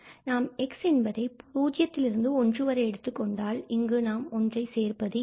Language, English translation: Tamil, So, what is interesting here, if you fix x from 0 and 1, so we are not going to include 1, so, it is open from 1 there